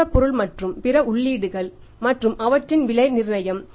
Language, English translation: Tamil, Then is the availability of raw material and other inputs and their pricing